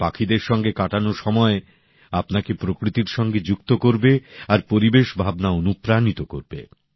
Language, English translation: Bengali, Time spent among birds will bond you closer to nature, it will also inspire you towards the environment